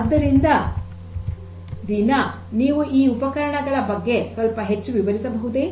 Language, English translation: Kannada, So, Deena, so could you explain little bit further about this particular instrument